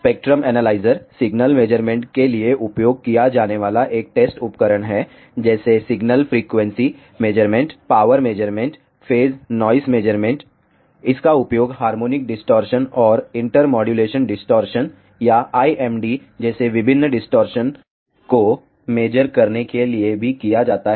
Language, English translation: Hindi, Spectrum analyzer is a test instrument used for signal measurements, such as signal frequency measurements, power measurements, phase noise measurements; it is also used to measure different distortions such as harmonic distortions and inter modulation distortions or IMD